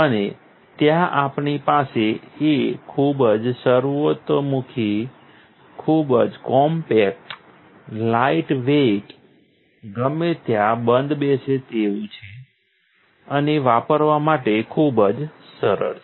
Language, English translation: Gujarati, And there we have it, very versatile, very compact lightweight, fits in anywhere and very easy to use